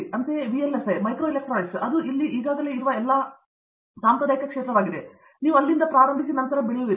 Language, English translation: Kannada, Similarly, VLSI, microelectronic it is all tradition which is already there, you start from there and then you start growing